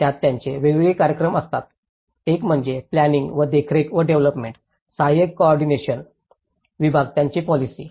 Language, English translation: Marathi, In that, they have different programs; one is the policy at planning and monitoring and development, assistance coordination division